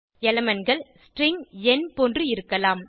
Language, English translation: Tamil, Elements can be string, number etc